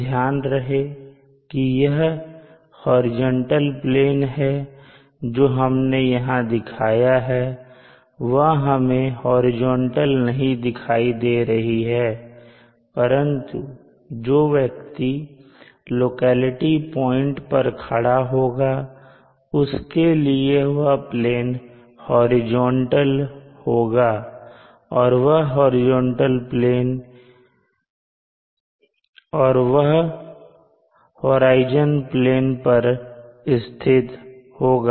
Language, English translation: Hindi, Remember that the horizontal plane that we have indicated here does not appear horizontal to us but to a person standing at the locality this plane will be horizontal and which and it will also lie on the horizon plane